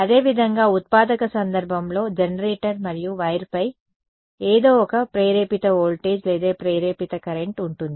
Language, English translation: Telugu, Similarly, in the generating case there is going to be an induced voltage or induced current by the generator and something on the wire